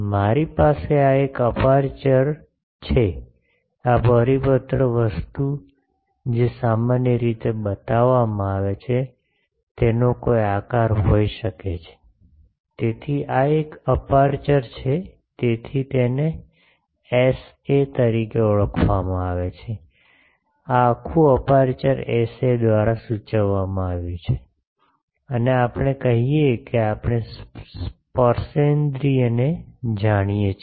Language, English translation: Gujarati, I have an aperture this, this circular thing what is shown in general, it can have any shape, so this is an aperture, so that is called as Sa the, this whole aperture is denoted by Sa and we say that we know the tangential field; that means, field on this aperture is known and that field we are calling E a